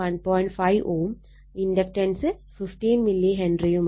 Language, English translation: Malayalam, 5 ohm, and inductance is 15 milli Henry